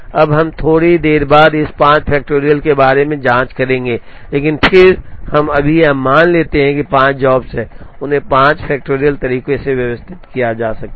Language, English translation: Hindi, Now, we will check about this 5 factorial after a while, but then we right now assume that, there are 5 jobs and they can be arranged in 5 factorial ways